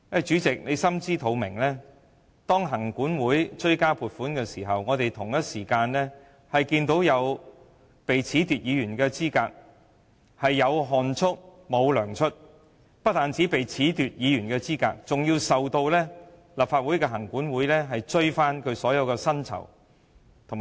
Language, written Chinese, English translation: Cantonese, 主席應該心知肚明，行管會要追加撥款的同時，有議員被褫奪資格，他們"有汗出，無糧出"，不單被褫奪議員資格，更被立法會行管會追討所有薪酬及開支。, The President should know it very well that while the Commission is seeking the supplementary provisions some Members have been disqualified . What is more they are not paid for their sweat and toil . Not only have they been disqualified as Legislative Council Members the Commission is even seeking to recover all the payroll costs from them